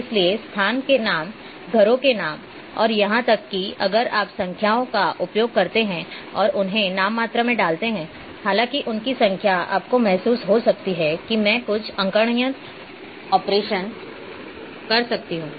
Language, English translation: Hindi, So, the places names,names of houses and also even if you use numbers and put them in nominal though their numbers you might feel that I can do some arithmetic operations